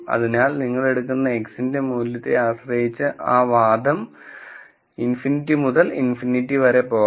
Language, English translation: Malayalam, So, that argument depending on the value of X you take, could go all the way from minus infinity to infinity